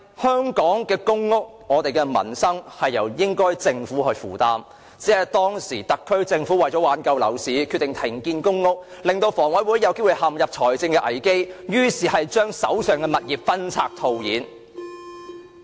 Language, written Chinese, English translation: Cantonese, 香港的公屋、我們的民生應該由政府負擔，只因當時的特區政府為挽救樓市而決定停建居屋，致令香港房屋委員會陷入財政危機，於是將手上的物業分拆套現。, Public housing in Hong Kong and peoples livelihood are responsibilities of the Government . Back then the SAR Government decided to stop the construction of Home Ownership Scheme HOS flats as a remedy to salvage the flagging property market causing the Hong Kong Housing Authority to run into a financial crisis . As a result it had to cash out by divesting its assets